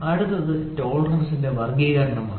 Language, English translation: Malayalam, So, the next one is classification of tolerance